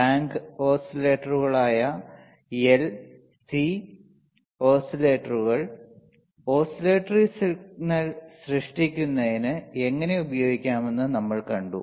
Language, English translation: Malayalam, Then we have seen how the L and C oscillators, that is tank oscillators can be used for generating the signal oscillatory signal